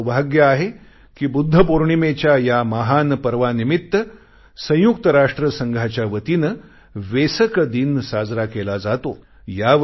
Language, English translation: Marathi, I feel fortunate that the occasion of the great festival of Budha Purnima is celebrated as Vesak day by the United Nations